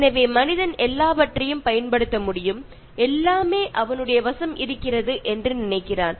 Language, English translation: Tamil, So, man thinks that he can use everything, and all are at his disposal